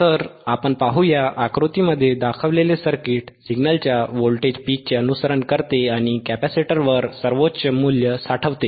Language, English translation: Marathi, So, let us see, the circuit shown in figure follows the voltage peaks of a signal and stores the highest value on a capacitor